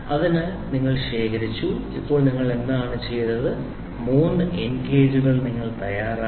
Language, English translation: Malayalam, So, you accumulated and now what have you done you have made 3 end gauges